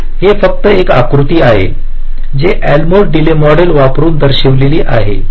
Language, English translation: Marathi, so this is just a diagram which is shown that using elmore delay model